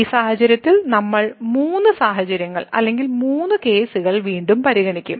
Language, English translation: Malayalam, So, in this case we will consider three situations or three cases again